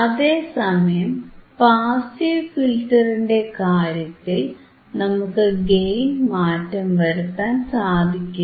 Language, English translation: Malayalam, Iin case of passive filters, we cannot change the gain we cannot change the gain